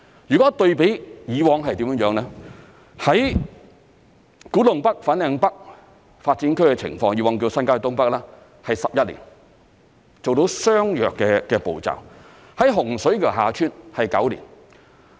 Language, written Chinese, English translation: Cantonese, 如果對比以往是怎樣呢？古洞北/粉嶺北新發展區的情況，以往叫新界東北發展，是11年才做到相若的步驟；洪水橋/厦村新發展區是9年。, For the sake of comparison the Kwu Tung NorthFanling North KTNFLN New Development Area NDA previously part of the North East New Territories NDAs has taken 11 years to complete similar procedures whereas the Hung Shui KiuHa Tsuen HSKHT NDA has taken nine years